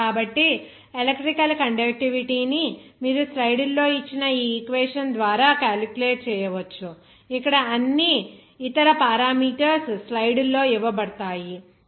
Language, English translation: Telugu, So, electrical conductivity you can calculate by this equation given in the slides where all other parameters are given in the slides there